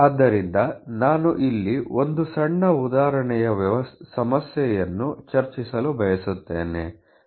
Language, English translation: Kannada, So, I would like to discuss a small example problem here